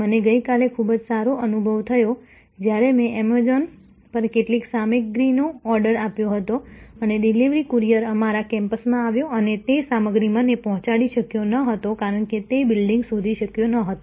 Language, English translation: Gujarati, I had a very good experience yesterday, when I had ordered some stuff on an Amazon and the delivery courier came to our campus and could not deliver the stuff to me, because allegedly he could not find the building